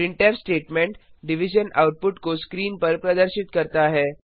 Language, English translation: Hindi, The printf statement displays the division output on the screen